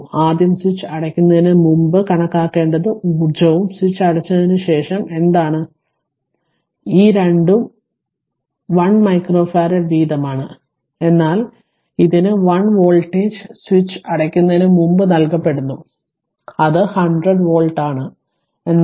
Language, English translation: Malayalam, So, question is that before you this this you here what you call this one micro farad both are one micro farad each, but here v 1 is voltage is given before switch is closed it is 100 volt, but here v 2 is equal to 0